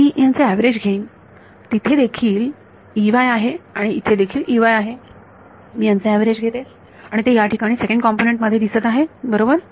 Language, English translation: Marathi, I take the average of this in this there is also E y here and E y here I take the average of this and that pops in over here in to the second component right